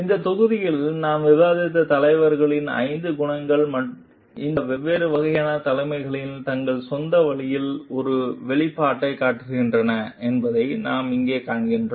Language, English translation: Tamil, And what we find over here like the all the five qualities of the leaders that we have discussed in this module show an expression in its own way in these different types of leadership